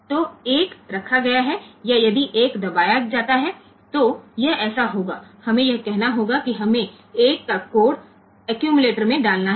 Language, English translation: Hindi, So, 1 has been placed or not so if 1 is pressed then it will be so, we have to say that we have to put the code of one into the accumulator